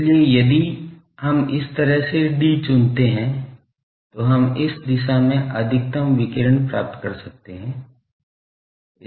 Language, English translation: Hindi, So, if we choose d like this, we can get maximum radiation in direction